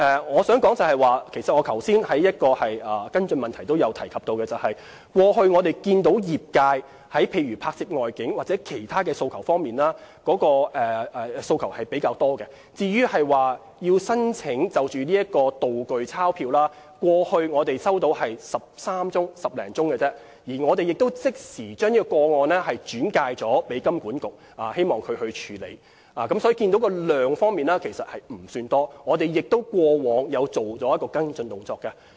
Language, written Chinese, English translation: Cantonese, 我想指出，我剛才在回答跟進質詢時也曾提及，過去業界提出拍攝外景或其他方面的訴求比較多，就製作"道具鈔票"，我們過去只接獲13宗查詢而已，我們亦已即時將個案轉介金管局處理，所以數量方面其實不算多，我們過往亦有作出跟進。, I wish to say as I also said in a follow - up reply just now that past applications submitted by the industry mostly concern outdoor filming or other requests for assistance and we only received 13 applications regarding prop banknotes . We promptly transferred the applications to HKMA for processing . So quantity - wise there are not many applications and we have followed up the applications